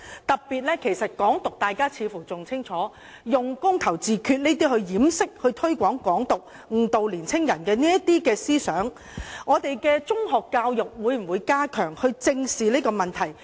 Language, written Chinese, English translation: Cantonese, 大家似乎對"港獨"更清楚，它是用"公投自決"來掩飾和推廣"港獨"，以誤導年輕人的思想，當局會否加強本港的中學教育，以正視這個問題？, We seem to know all the more clearly what Hong Kong independence is all about and they are using referendum on self - determination to disguise and promote Hong Kong independence in order to mislead the young people in their thinking . Will the authorities step up education in local secondary schools in order to address this problem squarely?